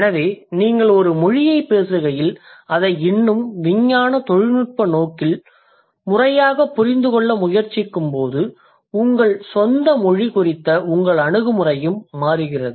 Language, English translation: Tamil, So when you speak a language merely as a speaker and when you are trying to understand it from a more scientific, technical or systematic point of view, your attitude for your own language that also changes